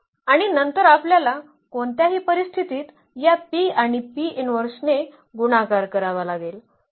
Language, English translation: Marathi, So, and then later on we have to in any case just multiply by this P and the P inverse